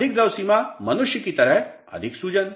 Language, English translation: Hindi, More liquid limit, more swelling just like human beings